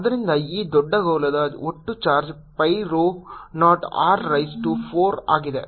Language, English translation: Kannada, so total charge on this big sphere is pi rho zero, capital r raise to four